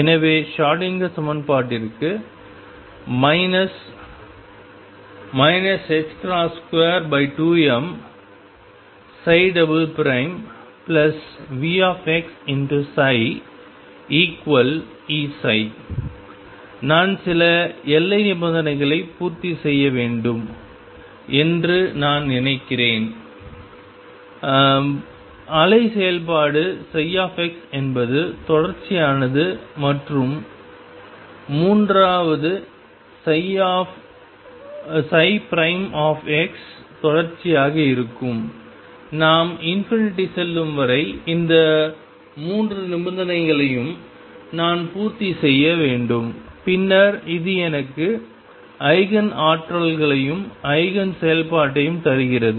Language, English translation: Tamil, So, let me just give you that for the Schrodinger equation minus h cross square over 2 m psi double prime plus V x psi equals E psi I am supposed to number 1 satisfy certain boundary conditions the wave function psi x is continuous and third psi prime x is continuous unless we goes to infinity, I have to satisfy all these 3 conditions and then this together gives me the Eigen energies and eigenfunctions